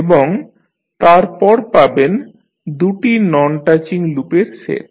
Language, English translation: Bengali, And, then you will have set of two non touching loops